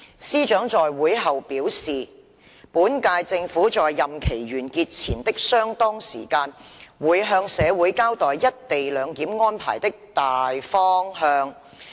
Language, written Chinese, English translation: Cantonese, 司長在會後表示，本屆政府在任期完結前的相當時間，會向社會交代一地兩檢安排的"大方向"。, SJ advised after the meeting that the current - term Government would explain to society the broad direction for the co - location arrangements at considerable time before the end of its term